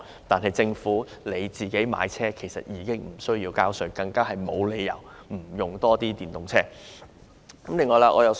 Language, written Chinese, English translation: Cantonese, 由於政府買車無需繳稅，因而更沒有理由不多使用電動車。, Given that the Government need not pay tax for car purchase it is even unjustified for not using more electric vehicles